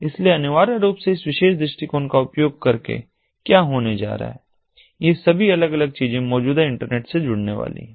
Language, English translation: Hindi, so, essentially, what is going to happened using this particular approach is all these different things are going to be connected to the existing internet